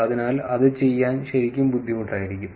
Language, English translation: Malayalam, And therefore, it is going to be actually hard to do that